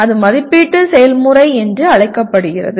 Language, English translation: Tamil, That is called evaluation process